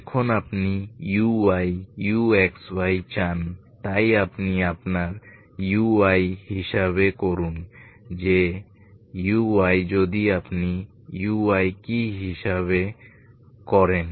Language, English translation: Bengali, Now you want U Y, U X Y so you calculate your U Y that is U Y if you calculate what is U Y